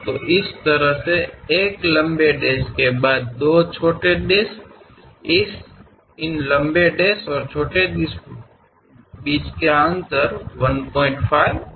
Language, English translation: Hindi, So, a long dash, small two dashes followed by long dash; the gap between these long dash and short dash is 1